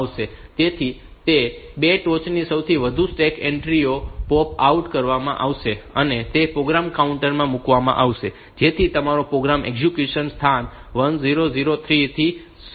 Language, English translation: Gujarati, So, that is the 2 top most stack entries will be popped out, and they will be put into the program counter so that your program execution resumes from location 1003